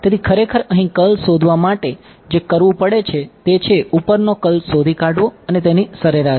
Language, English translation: Gujarati, So, what will actually have to do is find out the curl here, find out the curl above and take an average of it